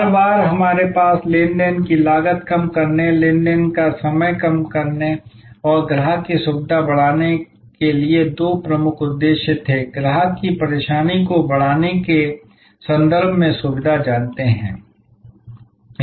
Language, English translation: Hindi, Every time we had two major objectives to lower the transaction cost, lower the transaction time and increase customer’s convenience, increase customer’s you know convenience in terms of decreasing the hassle extra movements